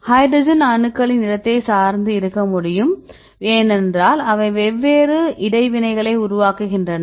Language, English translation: Tamil, We can also its depend on the placement of hydrogen atoms, because they are making the different interactions